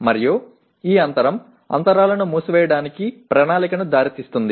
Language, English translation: Telugu, And this gap leads to plan for closing the gaps